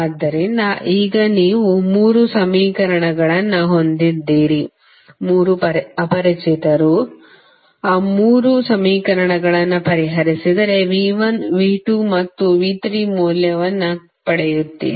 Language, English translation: Kannada, So, now you have three equations, three unknown if you solve all those three equations you will get the simply the value of V 1, V 2 and V 3